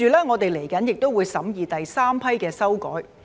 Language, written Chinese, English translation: Cantonese, 我們接着亦會審議第三批的修改。, We will proceed to scrutinize the third batch of amendments